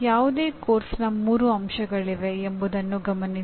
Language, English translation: Kannada, Note that there are three elements of any course